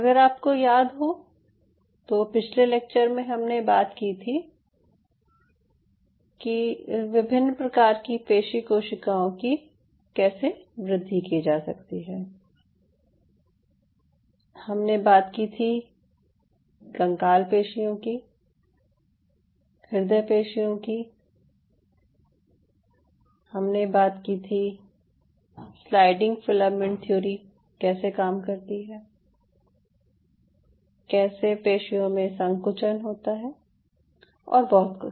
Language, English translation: Hindi, so, if you remember, in the last class we talked about growing different kind of muscle cells: skeletal muscle, we talked about the cardiac muscle and we talked about how the sliding filament theory works and how the muscle contracts and everything